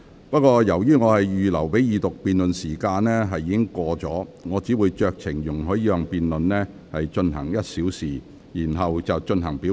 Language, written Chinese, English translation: Cantonese, 不過，由於我預留給二讀辯論的時限已過，我只會酌情容許議員辯論這項中止待續議案1小時，然後便會進行表決。, However since the time I have reserved for the Second Reading debate is up I will exercise my discretion to allow Members to debate on this motion of adjournment for one hour and the motion will then be put to vote